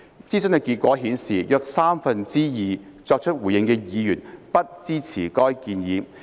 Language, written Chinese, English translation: Cantonese, 諮詢結果顯示，約三分之二作出回應的議員不支持該建議。, The outcome of the consultation showed that about two thirds of the respondents did not support the proposal